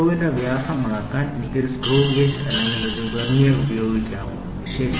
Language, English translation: Malayalam, Can I use a screw gauge or a Vernier to measure diameter of the screw, ok